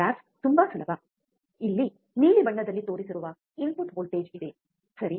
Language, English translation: Kannada, Graph is very easy there is a input voltage shown in blue colour here, right